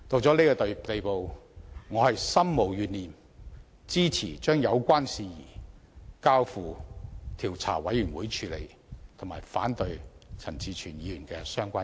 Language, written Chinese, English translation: Cantonese, 事已至此，我心無懸念，支持把有關事宜交付調查委員會處理，並反對陳志全議員的相關議案。, Be that as it may I firmly support referring the matter to an investigation committee but oppose the relevant motion of Mr CHAN Chi - chuen